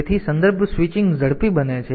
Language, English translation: Gujarati, So, context switching becomes faster